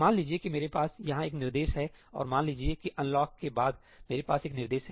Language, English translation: Hindi, Suppose I have an instruction here and suppose I have an instruction after the unlock